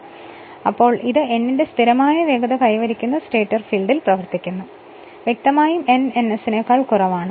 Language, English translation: Malayalam, So, in this case it runs in the direc[tion] stator field that acquires a steady speed of n; obviously, n less than ns